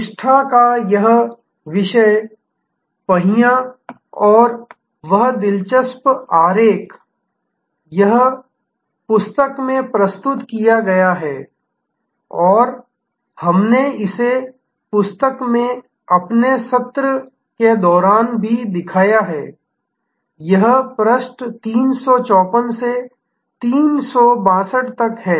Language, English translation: Hindi, This topic wheel of loyalty and that interesting diagram; that is presented in the book and we also showed it during our session in the book, it is from page 354 to 362